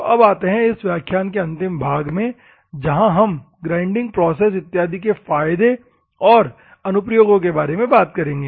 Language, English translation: Hindi, So, comes to the last section that is called advantages and the applications of the grinding process and other things